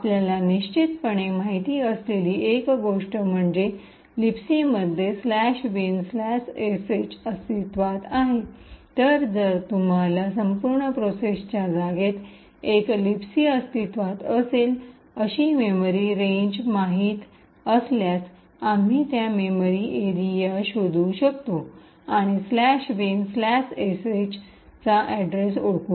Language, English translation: Marathi, So, one thing what we know for sure is that /bin/sh is present in the libc, so if you know the memory range where a libc is present in the entire process space, we could search that memory area and identify the address of /bin/sh